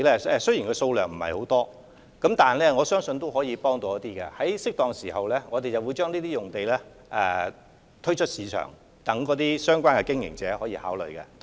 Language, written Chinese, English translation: Cantonese, 這些用地的數量雖然不多，但相信也有一定幫助，我們會適時將這些用地推出市場，供相關經營者考慮。, We believe this can be of certain help despite the small number of sites that will be available . We will put up the sites in the market in a timely manner for consideration by the operators concerned